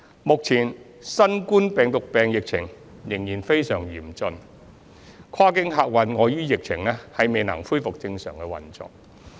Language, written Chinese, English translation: Cantonese, 目前新型冠狀病毒病疫情仍然非常嚴峻，跨境客運礙於疫情未能恢復正常運作。, Since the epidemic situation is still very severe at present the normal operation of cross - boundary passenger services cannot be resumed